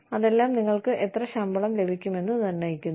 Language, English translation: Malayalam, All of that determines, how much salary, you get